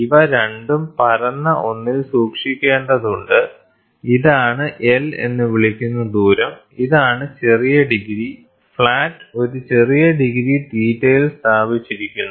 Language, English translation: Malayalam, So, this both has to be kept on a flat one, this is the distance called L, and this is the small degree and the flat which is placed at a small degree theta